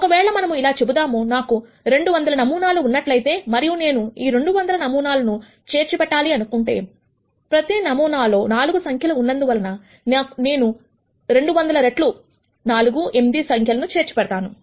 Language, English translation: Telugu, Supposing, I have let us say 200 such samples and I want to store these 200 samples since each sample has 4 numbers, I would be storing 200 times 4 which is 8 numbers